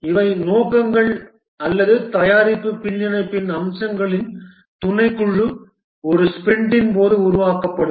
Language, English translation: Tamil, These are the objectives or the subset of features of the product backlog will be developed during one sprint